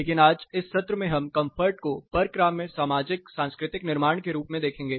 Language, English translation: Hindi, But today in this session we would look at comfort as a negotiable socio cultural construct